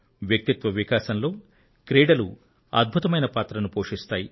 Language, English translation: Telugu, Sports play an important role in personality development also